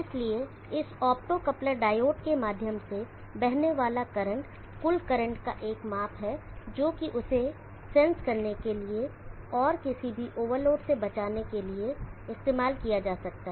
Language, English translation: Hindi, Therefore the current flowing through this optocoupler diode is a measure the total current which can be used for sensing that and protecting against any over loads